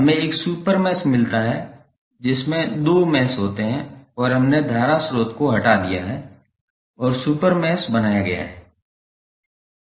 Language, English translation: Hindi, We get a super mesh which contains two meshes and we have remove the current source and created the super mesh